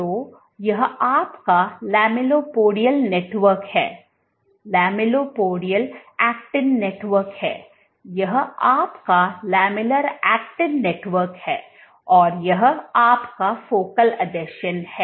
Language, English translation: Hindi, So, this is your lamellipodial network, lamellipodial actin network, this is your lamellar actin network and this is your focal adhesion